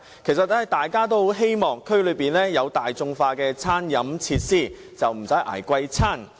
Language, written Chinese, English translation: Cantonese, 其實，大家都希望區內能有大眾化的餐飲設施，不用"捱貴飯"。, Actually we all want more affordable catering facilities in the district so that we do not need to spend on expensive meals